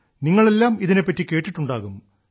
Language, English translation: Malayalam, You all must have heard about it